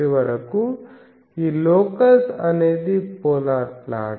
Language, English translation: Telugu, So, finally, this locus is the polar plot